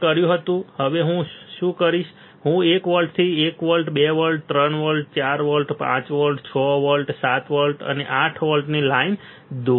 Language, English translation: Gujarati, This I had done now what I will do I will I will draw line from one volt onward 1volt, 2 volt, 3 volt 4 volt, 5 volt, 6 volt, 7 volt and 8 volt what is this volts